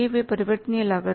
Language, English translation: Hindi, They are the variable